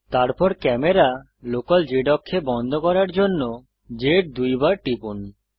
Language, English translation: Bengali, Then press Z twice to lock the camera to the local z axis